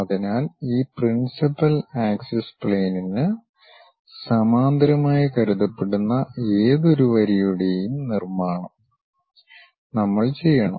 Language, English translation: Malayalam, So, step construction any line supposed to be parallel to this principal axis planes, we have to do